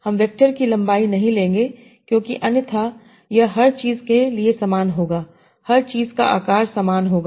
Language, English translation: Hindi, So you will not take the length of the vector because otherwise it will be the same for everything